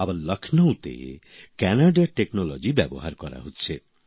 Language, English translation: Bengali, Meanwhile, in Lucknow technology from Canada is being used